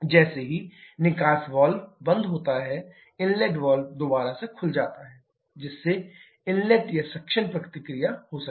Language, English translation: Hindi, As soon as the exhaust valve closes the inlet valve open again to facilitate the inlet or suction process